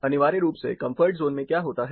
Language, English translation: Hindi, Essentially what happens in the comfort zone